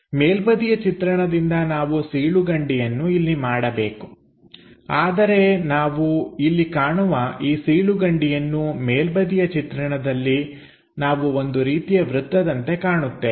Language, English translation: Kannada, From top view is supposed to make this slot here, the slot here we are going to see, but on top view we are seeing something like a circle